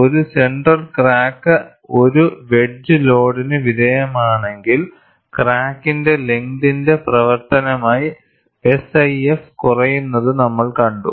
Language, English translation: Malayalam, If a center crack is subjected to a wedge load, we saw that SIF decreases as a function of crack length